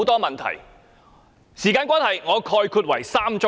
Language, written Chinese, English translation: Cantonese, 由於時間關係，我概括為3宗罪。, Given the time constraint I summarize them as three sins